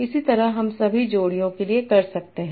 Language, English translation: Hindi, Similarly I can do for all these pairs